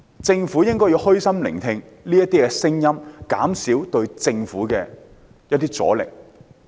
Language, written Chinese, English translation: Cantonese, 政府應虛心聆聽這些聲音，減少對政府的阻力。, The Government should listen to these voices in a humble manner with a view to minimizing resistance to its policy